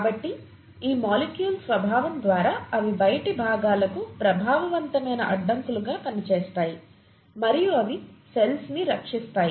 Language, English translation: Telugu, So by the very nature of these molecules they act as effective barriers to outside components and they protect the cell